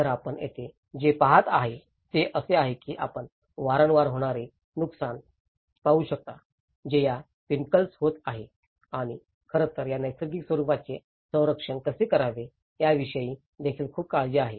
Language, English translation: Marathi, So, what you can see here is like you can see the frequent damages, which is occurring to these pinnacles and in fact, one is also very much concerned about how to protect these natural forms